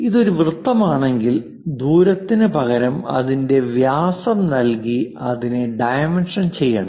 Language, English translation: Malayalam, If it is a circle, it should be dimensioned by giving its diameter instead of radius